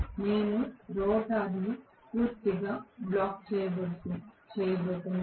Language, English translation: Telugu, We are going to have the rotor completely blocked